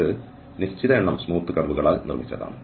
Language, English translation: Malayalam, So, if it is made up of a finite number of smooth curves